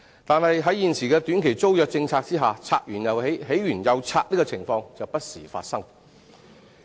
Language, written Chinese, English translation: Cantonese, 但是，在現時的短期租約政策下，"拆完又起、起完又拆"的情況就不時發生。, Anyway I must still point out that the phenomenon of demolition re - erection and demolition again is very common under the existing policy of offering short - term tenancy